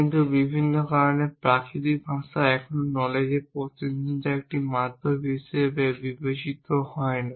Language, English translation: Bengali, Why do not we use natural language as a representation mechanism for knowledge